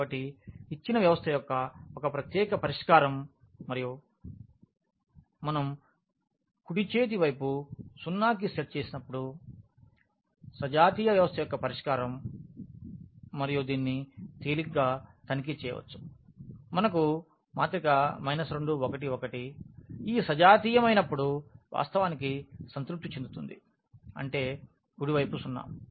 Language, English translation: Telugu, So, one particular solution of the of the given system plus this of the solution of the homogeneous system when we set the right hand side to 0, and one can easily check that this to minus 2 1 1 actually satisfy when we have this homogeneous one ; that means, the right hand side 0